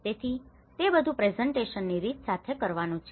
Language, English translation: Gujarati, So, it is all to do with the manner of presentation